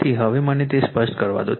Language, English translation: Gujarati, So, now let me clear it